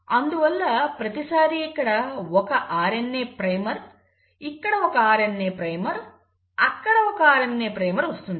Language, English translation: Telugu, Every time you have a RNA primer,RNA primer and a RNA primer